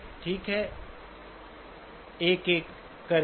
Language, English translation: Hindi, Okay one at a time